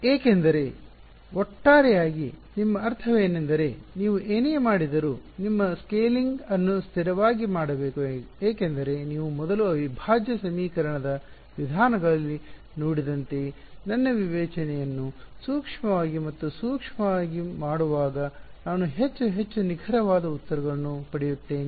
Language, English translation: Kannada, Because, overall your I mean your scaling overall whatever you do, it should be done in a consistent way because as you seen in integral equation methods before, as I make my discretization finer and finer I get more and more accurate answers